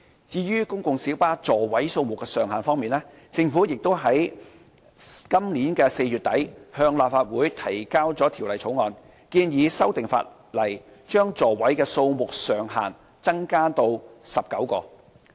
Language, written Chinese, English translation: Cantonese, 至於公共小巴座位數目的上限方面，政府已於本年4月底向立法會提交條例草案，建議修訂法例，將座位數目上限增至19個。, As regards the seating capacity of PLBs the Government introduced the Bill into the Legislative Council in late April this year in respect of the proposed legislative amendment for increasing the seating capacity to 19 seats